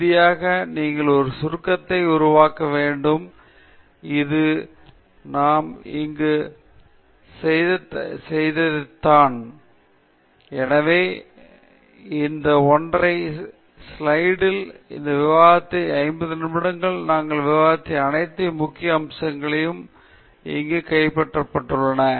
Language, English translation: Tamil, And finally, you need to make a summary which is what we have done here; so, that in this single slide all the major aspects that we discussed in the 50 minutes of this talk are all captured here